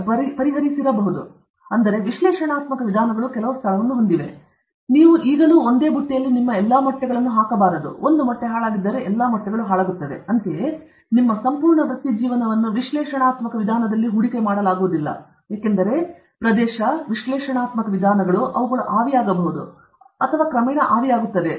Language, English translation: Kannada, Therefore, analytical methods have some place, but still you cannot, I mean, just as they say you should not put all your eggs in one basket, then if one egg is spoilt, all the eggs will get spoilt; similarly, you cannot invest your whole career on analytical method because the area analytical methods may themselves vaporize or evaporate